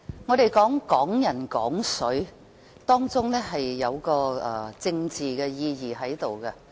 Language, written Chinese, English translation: Cantonese, 我們說"港人港水"，當中有一個政治意義。, When we talk about Hong Kong people using Hong Kong water there is a political significance in it